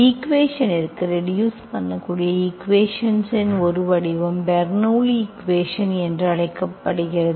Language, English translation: Tamil, One form of the equation that can be reduced to linear equation is called Bernoulli s equation